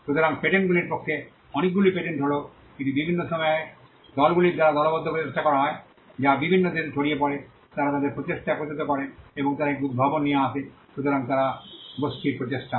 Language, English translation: Bengali, So, this is true for patenting too many of the patents are group efforts done sometimes by teams that are spread across in different countries they put their efforts together and they come up with an invention, so they are group effort